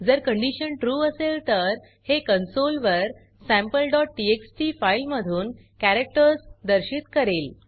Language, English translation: Marathi, If the condition is true, then it will display the characters from Sample.txt file, on the console